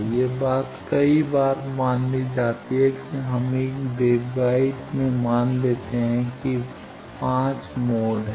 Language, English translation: Hindi, This thing happens suppose many times we write suppose in a waveguide there are 5 numbers of modes going